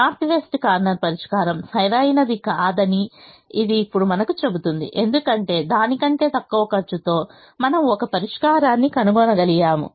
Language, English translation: Telugu, it also now tells us that the north west corner solution is not optimal because we were able to find a solution with the lesser cost than that